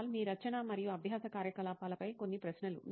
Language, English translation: Telugu, Kunal, just a few questions on your writing and learning activity